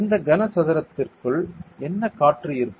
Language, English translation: Tamil, And inside this cuboid, there will be what air ok